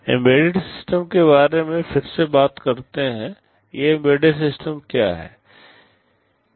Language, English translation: Hindi, Talking about embedded systems again, what are these embedded systems